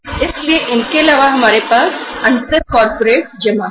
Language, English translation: Hindi, So uh apart from the these sources we have inter corporate deposits